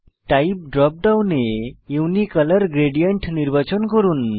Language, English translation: Bengali, In the Type drop down, select Unicolor gradient